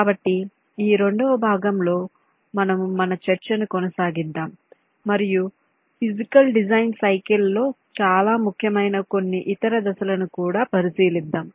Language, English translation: Telugu, so in this part two we continued discussion and look at some of the other steps which are also very important in the physical design cycle